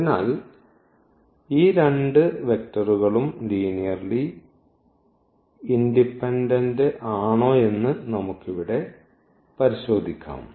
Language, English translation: Malayalam, So we can check here also that these 2 vectors are linearly independent